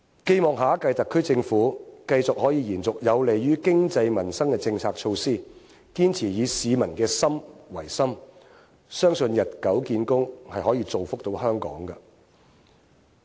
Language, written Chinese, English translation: Cantonese, 寄望下一屆特區政府繼續可以延續有利於經濟民生的政策措拖，堅持以市民的心為心，相信日久見功，是可以造福到香港的。, I hope the next SAR Government can continue the measures conducive to the economy and the peoples livelihood and that it will always set its mind to improving the welfare of the people . I believe such steps will benefit Hong Kong with time